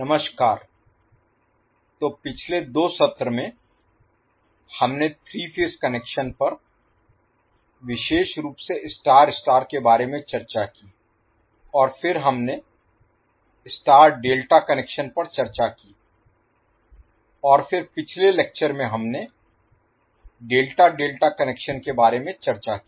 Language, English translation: Hindi, Namashkar, so in the last two sessions, we have discussed about three phase connections specially star star and then we discussed star delta connections and then in the last lecture we discussed about the Delta Delta connection